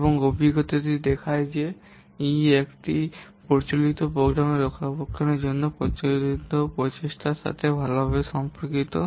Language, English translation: Bengali, The experience show that E is well correlated to the effort which is needed for maintenance of an existing program